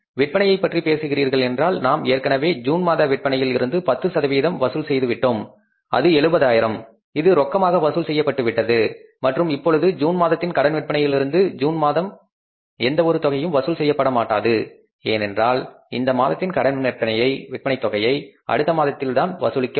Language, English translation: Tamil, So, if you talk about the June sales, we have already collected from June sales that is the 70,000 which was in cash and nothing we are going to collect for the month of June sales in the month of June now from the credit because credit will be collected now in the next month